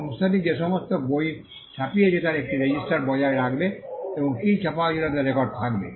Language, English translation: Bengali, The company will maintain a register as to all the books that it has printed, and it would be on record as to what was printed